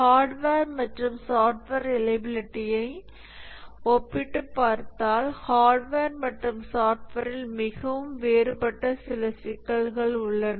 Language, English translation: Tamil, If we compare hardware and software reliability, there are some issues which are very different in hardware and software